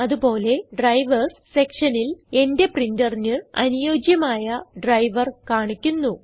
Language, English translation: Malayalam, Also in the Drivers section, it shows the driver suitable for my printer